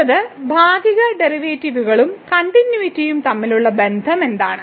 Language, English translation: Malayalam, So, what is the Relationship between the Partial Derivatives and the Continuity